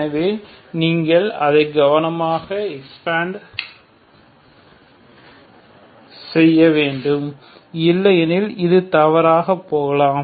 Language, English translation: Tamil, So you have to carefully have to expand it otherwise you may go wrong